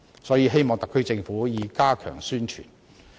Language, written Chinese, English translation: Cantonese, 所以，希望特區政府加強宣傳。, Therefore I hope the SAR Government would step up publicity in this regard